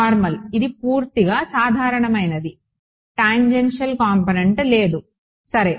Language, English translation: Telugu, Normal right; it is purely normal there is no tangential component ok